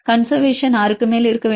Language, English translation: Tamil, Conservation should be more than 6